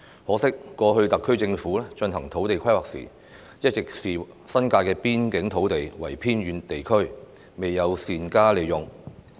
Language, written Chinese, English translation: Cantonese, 可惜，過去特區政府進行土地規劃時，一直視新界的邊境土地為偏遠地區，未有善用。, Unfortunately when the SAR Government carried out land planning in the past it always regarded the land in the border areas in the New Territories as remote land and failed to make good use of it